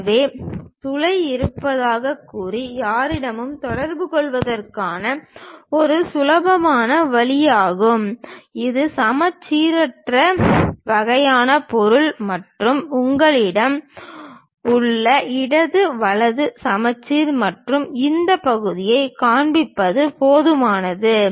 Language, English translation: Tamil, So, it is a easy way of communicating with anyone saying that there also hole and it is a symmetric kind of object and left right symmetry you have and just showing this part is good enough